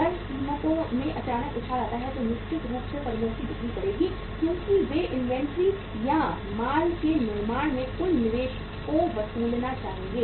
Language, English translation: Hindi, If there is a sudden jump in the prices then certainly firms will increase the sales because they would like to recover the total investment they have made in the say inventory or in the manufacturing of the goods